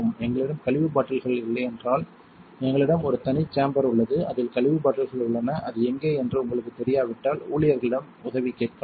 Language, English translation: Tamil, If there is no more bottles to use for waste we have a separate room where we contain waste bottles you can ask staff for help if you do not know where it is